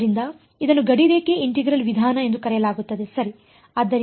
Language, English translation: Kannada, So, this is would be called the boundary integral method ok